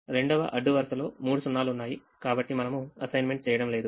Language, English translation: Telugu, the second row has three zeros, so we don't make an assignment